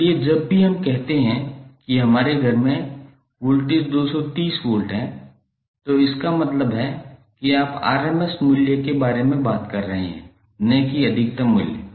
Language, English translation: Hindi, So whenever we say that the voltage in our house is 230 volts it implies that you are talking about the rms value not the peak value